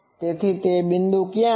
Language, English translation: Gujarati, So, where are those points